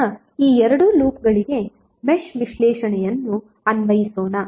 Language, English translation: Kannada, Now let us apply the mesh analysis for these two loops